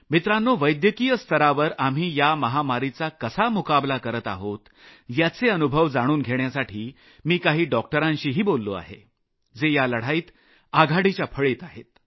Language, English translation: Marathi, Friends, to know the capability with which we are dealing with this pandemic at the medical level, I also spoke to some doctors who are leading the front line in this battle